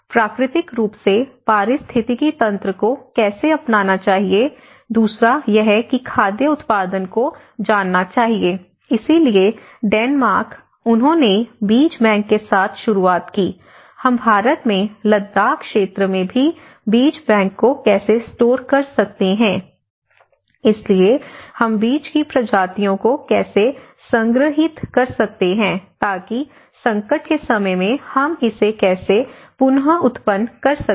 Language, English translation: Hindi, So, there is a 3 things; one is how it can naturally the ecosystem should adopt, the second is the food production should know, so that is why the Denmark, they started with the seed bank, how we can store the seed bank even in India we have in Ladakh area where there is a seed bank so, how we can store the species of seeds, so that in the time of crisis how we can regenerate it further